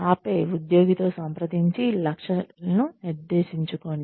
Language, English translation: Telugu, And then, set objectives in consultation with the employee